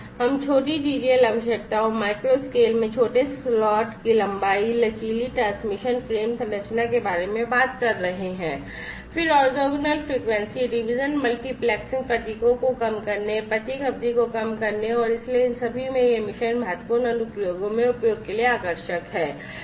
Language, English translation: Hindi, So, we are talking about shorter TTL requirements, you know, smaller slot lengths in micro scale, flexible transmission frame structure, then reducing the orthogonal frequency division multiplexing symbols, reducing symbol duration and so on so all of these weak it attractive for use in mission critical applications